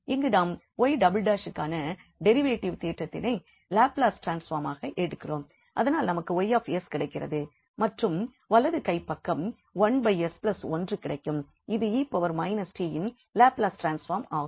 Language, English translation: Tamil, So, here we take the Laplace transform so this the derivative theorem for y double prime then we have Y s and then the right hand side will give us 1 s plus 1 that is the Laplace transform of e power minus t